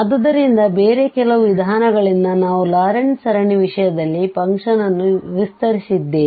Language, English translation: Kannada, So, by some other means we have expanded the function in terms of the Laurent series